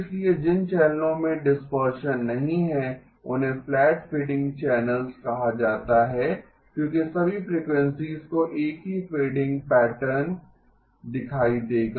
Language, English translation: Hindi, So channels where there is no dispersion are called flat fading channels because all frequencies will see the same fading pattern